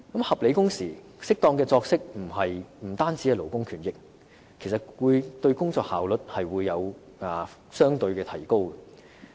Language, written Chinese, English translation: Cantonese, 合理的工時和適當的作息並不單是勞工權益，還會使員工的工作效率相對提高。, Reasonable working hours and work - life balance are not just labour rights but will also increase the work efficiency of workers